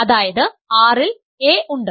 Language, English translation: Malayalam, So, a is inside this